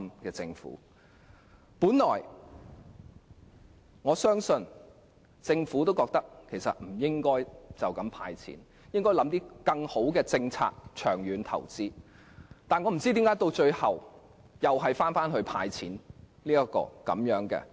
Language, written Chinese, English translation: Cantonese, 我本來相信，政府亦認為不應"派錢"，而是應該構思更好的政策作長遠投資，但不知何故最後又是"派錢"。, At first I trusted that the Government shared the view that giving cash handouts was not right and it should instead work out sound policies for long - term investment . I do not know why it eventually ends up with handing out cash